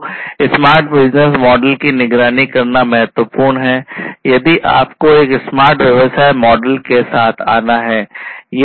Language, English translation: Hindi, So, what is important is to monitor in a smart business model; if you have to come up with a smart business model